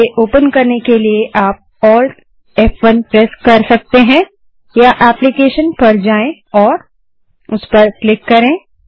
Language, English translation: Hindi, To open this, you can press Alt+F1 or go to applications and click on it